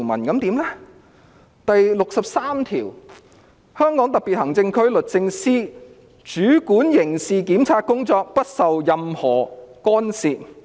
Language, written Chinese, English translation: Cantonese, 《基本法》第六十三條訂明："香港特別行政區律政司主管刑事檢察工作，不受任何干涉。, Article 63 of the Basic Law stipulates The Department of Justice of the Hong Kong Special Administrative Region shall control criminal prosecutions free from any interference